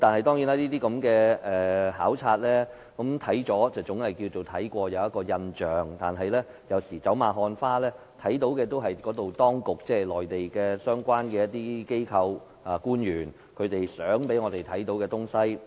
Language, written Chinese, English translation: Cantonese, 當然，這種考察總算是到實地視察過，留有印象，但走馬看花，看到的也是當局或內地相關機構及官員想我們看到的情況。, Of course this kind of visit means that we have at least an on - site visit with an impression but we only have a superficial understanding through cursory observation . We will only see the situation the authorities or agencies and officials concerned on the Mainland want us to see